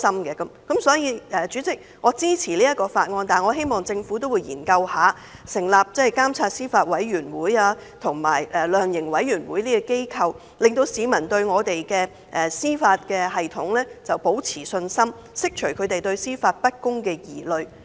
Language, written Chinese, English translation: Cantonese, 因此，主席，我支持這項《條例草案》，但我希望政府會研究成立監察司法委員會及量刑委員會等機構，讓市民對司法系統保持信心，釋除他們對司法不公的疑慮。, Hence President I support the Bill . Yet I hope that the Government will examine the setting up of organizations like the judiciary monitoring committee and the sentencing council so as to maintain the confidence of the public in the judicial system and to allay their worries about unfairness in judicial proceedings